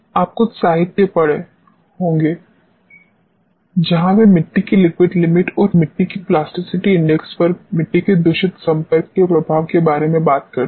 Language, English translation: Hindi, You must have come across some literature where they talk about influence of soil contaminant interaction on liquid limit of the soil and plasticity index of the soil